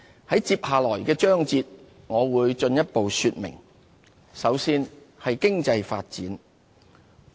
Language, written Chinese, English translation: Cantonese, 在接下來的章節裏，我會進一步說明。, I will elaborate on this in the ensuing parts of my speech